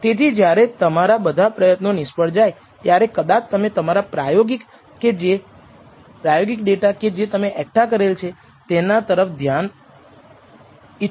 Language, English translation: Gujarati, So, when all your attempts have failed you may want to even look at your experimental data that you have gathered